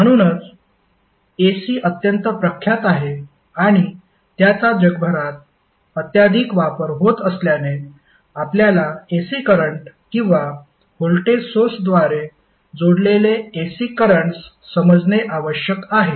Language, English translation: Marathi, So, since AC is very prominent and it is highly utilized across the globe, we need to understand the AC and the AC circuits which are connected through AC current or voltage source